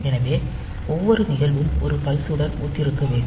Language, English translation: Tamil, So, each event should correspond to a pulse